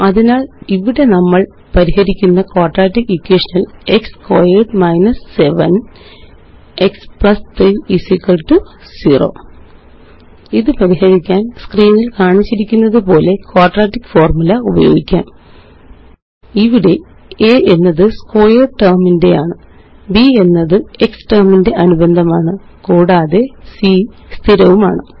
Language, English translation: Malayalam, So here is the quadratic equation we will solve, x squared 7 x + 3 = 0 To solve it, we can use the quadratic formula shown on the screen: Here a is the coefficient of the x squared term, b is the coefficient of the x term and c is the constant